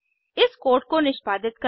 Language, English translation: Hindi, Lets execute this code